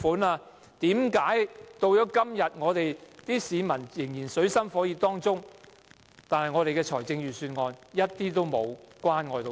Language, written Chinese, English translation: Cantonese, 為甚麼到了今天，香港市民仍處於水深火熱當中，但預算案卻一點也沒有關愛他們？, Today Hong Kong people are in dire straits but how come the Budget does not show any concern?